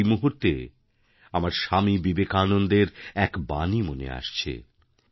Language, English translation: Bengali, On this occasion, I remember the words of Swami Vivekananda